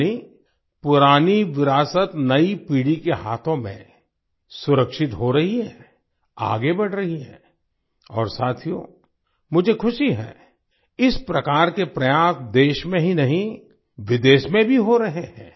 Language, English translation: Hindi, That is, the old heritage is being protected in the hands of the new generation, is moving forward and friends, I am happy that such efforts are being made not only in the country but also abroad